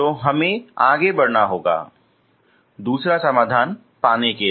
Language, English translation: Hindi, So we will proceed how to get those that second solution